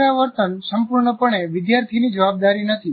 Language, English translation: Gujarati, So that is not completely the responsibility of the student